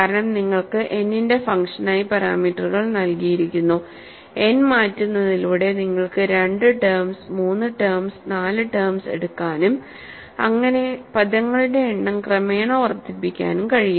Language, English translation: Malayalam, Because you have the parameters given as function of n, by changing the n, you are in a position to take 2 terms, 3 terms, 4 terms and gradually increase the number of terms